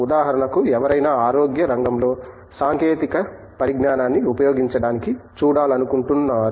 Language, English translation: Telugu, For example, someone wants to look at the use of technology in health